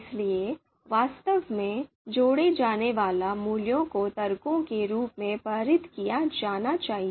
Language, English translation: Hindi, So actually the values which are to be combined are to be passed as arguments